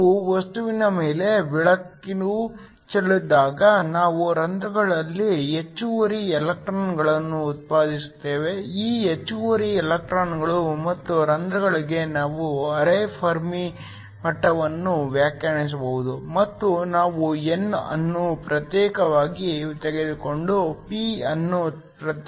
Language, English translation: Kannada, When we shine light on to the material, we generate excess electrons in holes, we can define a quasi Fermi level for these excess electrons and holes, and we just did calculation taking the n separately and taking the p separately